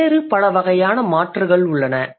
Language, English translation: Tamil, There are many other species